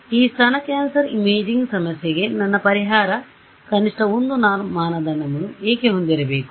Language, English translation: Kannada, Why should my solution to this breast cancer imaging problem have minimum 1 norm